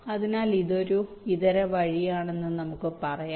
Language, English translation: Malayalam, so let say, this can be one alternate route